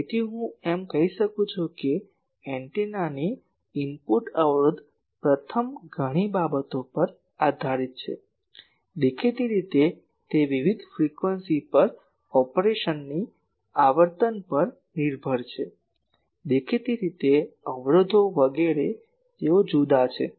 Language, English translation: Gujarati, So, I can say that the input impedance of an antenna depends on several things on what first; obviously, it is dependent on frequency of operation at different frequencies obviously, impedances etc